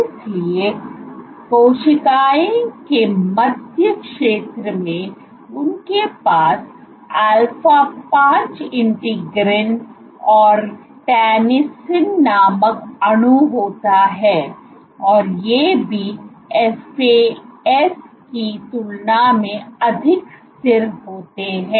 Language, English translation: Hindi, So, central region of cells and they have alpha 5 integrin and the molecule called tensin in and these are also more stable compared to FAs